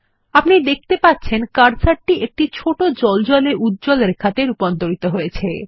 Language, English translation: Bengali, Can you see the cursor has transformed into a small vertical blinking line